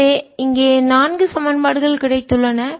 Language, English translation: Tamil, so we have got four equations here